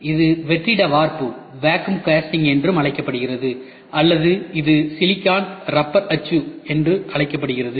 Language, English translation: Tamil, It is also called as vacuum casting or it is called as silicon rubber mold